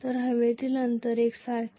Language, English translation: Marathi, The air gap is uniform